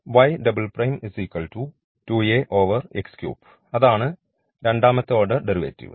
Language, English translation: Malayalam, So, we will we go for the second order derivative here